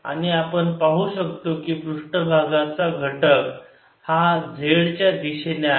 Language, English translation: Marathi, so we can see this surface element moving along with y direction